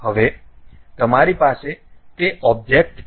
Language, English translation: Gujarati, Now, you have that object